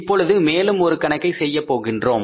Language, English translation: Tamil, Now we will do one more problem, right